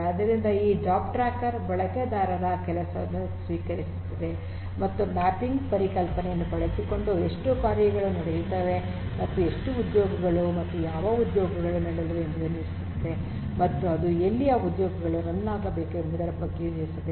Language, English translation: Kannada, So, these name nodes these job tracker will receive the users job will decide on how many tasks will run using, the concept of mapping and how many jobs and which jobs are going to run that mapping is going to be done and it is going to also decide on where to run in each of these different jobs